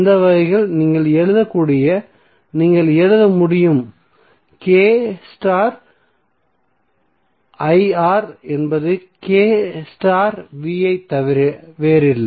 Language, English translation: Tamil, So in that way what you can write, you can write K into I R is nothing but K into V